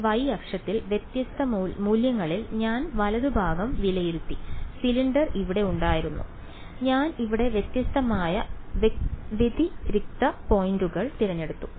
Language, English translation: Malayalam, I just evaluated the right hand side at different values along the along this y axis, the cylinder was here I just chose different discrete points over here